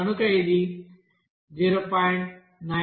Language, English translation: Telugu, It is exactly 0